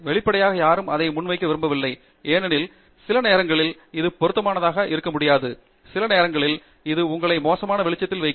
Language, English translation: Tamil, And obviously, nobody wants to present that because sometimes it may not be relevant and sometimes probably it will put you in bad light